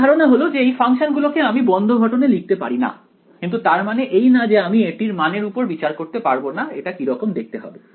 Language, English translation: Bengali, The main idea is that these functions are not you cannot write them in closed form ok, but that does not mean we cannot numerically see what it looks like